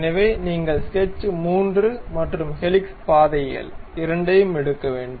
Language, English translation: Tamil, So, you have to pick both sketch 3, and also helix paths